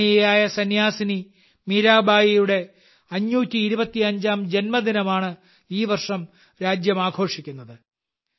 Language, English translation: Malayalam, This year the country is celebrating the 525th birth anniversary of the great saint Mirabai